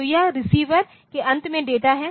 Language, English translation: Hindi, So, this is data at the receiver end